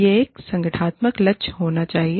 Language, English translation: Hindi, This should be, an organizational goal